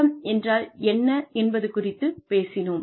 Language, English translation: Tamil, We have talked about, what HRM is